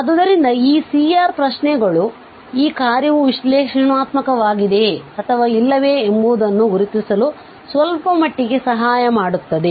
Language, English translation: Kannada, So this C R questions help to certain extent to identify that this function is analytic or not